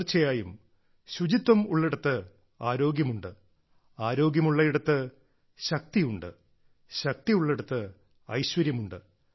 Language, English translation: Malayalam, Indeed, where there is cleanliness, there is health, where there is health, there is capability, and where there is capability, there is prosperity